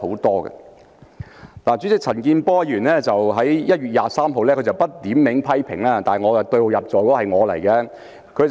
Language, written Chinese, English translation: Cantonese, 代理主席，陳健波議員在1月23日不點名批評，但對號入座的是我。, Deputy President Mr CHAN Kin - por made a criticism on 23 January without naming a person but his criticism aimed at my pigeon hole